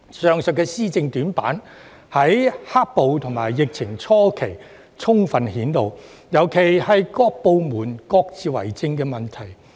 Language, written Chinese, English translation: Cantonese, 政府的施政短板，在"黑暴"及疫情初期充分顯露出來，尤其是部門各自為政的問題。, During the early stage of black - clad violence and the epidemic the shortcomings of the Government in policy implementation were fully exposed especially the lack of coordination among departments